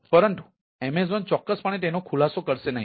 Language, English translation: Gujarati, but the amazon will definitely not disclose this